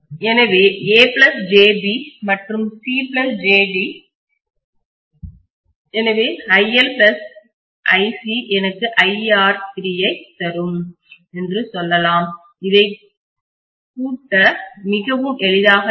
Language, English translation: Tamil, So a plus jb and c plus jd, so I can say iL plus iC will give me what is iR3, it will be very easy for me to add it